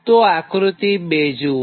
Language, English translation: Gujarati, look at this diagram